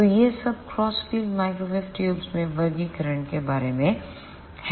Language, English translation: Hindi, So, this is all about the classification of ah crossed field microwave tubes